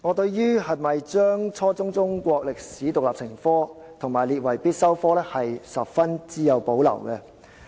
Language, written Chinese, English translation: Cantonese, 對於應否規定初中中國歷史獨立成科及將之列為必修科，我很有保留。, I have reservations about requiring the teaching of Chinese history as an independent subject at junior secondary level and making the subject compulsory